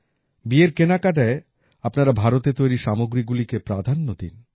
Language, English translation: Bengali, While shopping for weddings, all of you should give importance to products made in India only